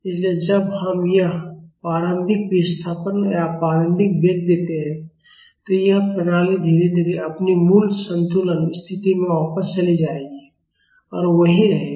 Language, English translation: Hindi, So, after we give this initial displacement or initial velocity, this system will go back to its original equilibrium position slowly and stays there